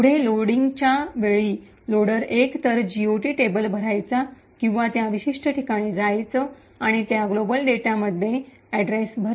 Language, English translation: Marathi, Further at the time of loading, the loader would either fill the GOT table or go specifically to those particular locations and fill addresses in those global data